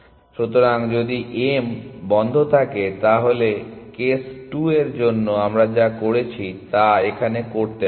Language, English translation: Bengali, So, if m is on close first of course, we have to do what we did for case 2